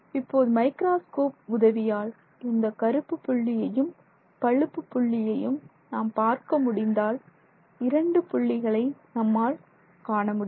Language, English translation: Tamil, So, now if the microscope helps me see this black spot separately and this gray spot separately, I am able to say that I can see two spots, right